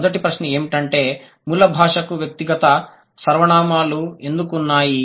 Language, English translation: Telugu, Why did the source language have personal pronouns